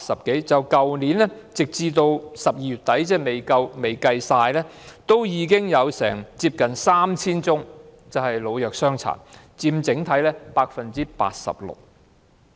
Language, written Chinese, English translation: Cantonese, 截至去年12月底，即使未計算全年的數字，已經有接近 3,000 宗涉及老、弱、傷殘的綜援申領人，佔整體數字的 86%。, As of the end of December last year without counting the full - year figure there were nearly 3 000 cases involving old infirm handicapped and disabled CSSA recipients accounting for 86 % of the overall figure